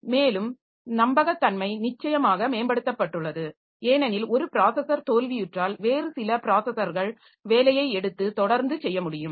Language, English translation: Tamil, And reliability is improved definitely because if one processor fails some other processor can take take up the job